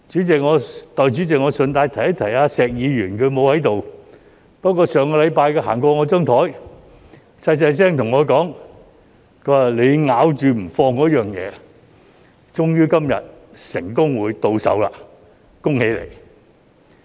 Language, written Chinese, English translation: Cantonese, 代理主席，我順便一提石議員——他不在席——不過，上星期他經過我的座位時，小聲對我說："你咬着不放的東西，終於今日成功到手，恭喜你！, Deputy President let me also mention Mr SHEK in passing―he is not present here now though . But when he passed my seat last week he whispered to me You have succeeded in obtaining what you have been after for so long . Congratulations!